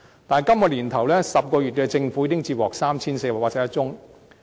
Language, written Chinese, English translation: Cantonese, 但是，今年首10個月政府已經接獲 3,481 宗個案。, However the Government already received 3 481 cases just in the first 10 months of this year